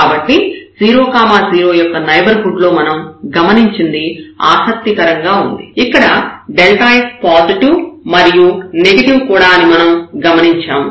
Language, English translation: Telugu, So, what we have observed this is interesting that in the neighborhood of this 0 0 point, we realize that this delta f is positive and also this delta f is negative